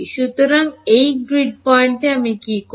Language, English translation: Bengali, So, at this grid point what do I do